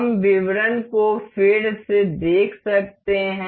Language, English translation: Hindi, We can see the a details again